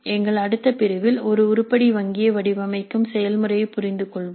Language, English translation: Tamil, So, in our next unit we will understand the process of designing an item bank